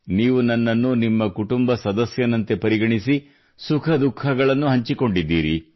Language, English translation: Kannada, Considering me to be a part of your family, you have also shared your lives' joys and sorrows